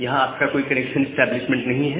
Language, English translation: Hindi, So, you do not have any connection establishment